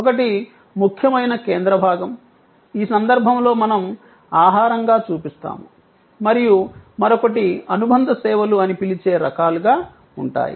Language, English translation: Telugu, One is the core, which in this case we are showing as food and the other will be different kinds of what we call supplementary services